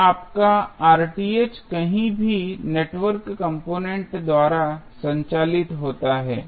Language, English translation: Hindi, So, your Rth is anywhere driven by the network components